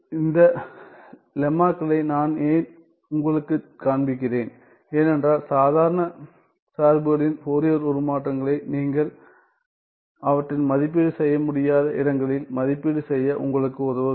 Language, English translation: Tamil, Why I am showing you this lemmas is because to help you to evaluate Fourier transforms of ordinary functions where they are not where you are not able to evaluate them